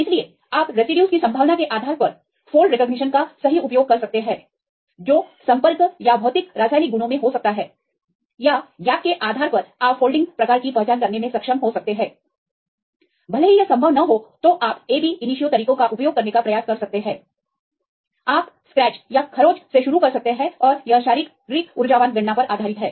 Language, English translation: Hindi, So, you can use the fold recognition right based on the probability of the residues which can be in contact or the physiochemical properties or depending on the gaps you can able to identify the folding type even if it is not possible then you can try to use the ab initio methods you can start with scratch and this is based on the physical energetic calculations